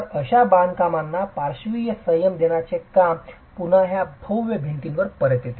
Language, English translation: Marathi, So, the work of providing lateral restraint to such constructions again comes back to these massive peripheral walls